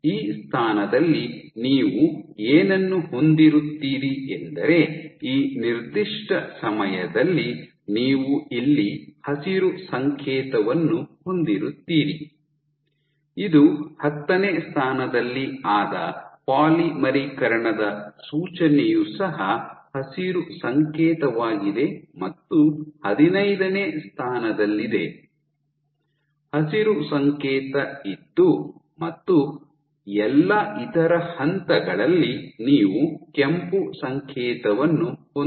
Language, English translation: Kannada, So, what you will have at this position 5 at this particular time t you would have a green signal here indicative of polymerization at position 10 also a green signal and position 15 green signal and at all other points you will have red signal